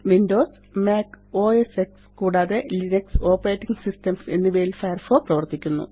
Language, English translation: Malayalam, Firefox works on Windows, Mac OSX, and Linux Operating Systems